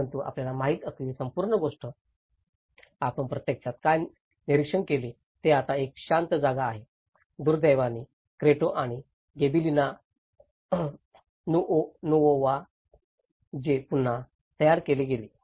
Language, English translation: Marathi, But the whole thing you know, what you actually observe is the whole thing is now a silence place, unfortunately, the Cretto and the Gibellina Nuova which have been rebuilt